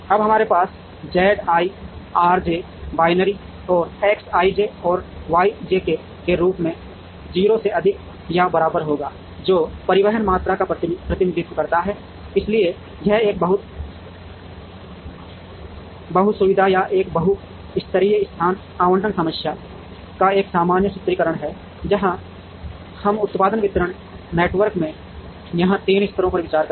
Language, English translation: Hindi, Now, we will have Z i R j as binary and X i j and Y j k greater than or equal to 0, which represent the transportation quantities, so this is a generic formulation of a multi facility or a multi level location allocation problem, where we consider 3 levels here in the production distribution network